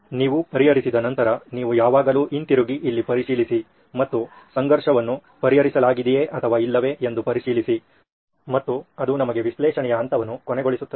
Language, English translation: Kannada, In that after you done with solve, you always come back and check here and check if the conflict is addressed or not and that ends the analyse stage for us